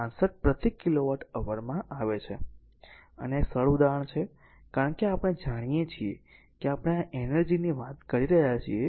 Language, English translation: Gujarati, 265 per kilowatt hour and this is simple example, because we have taken know that energy we are talking of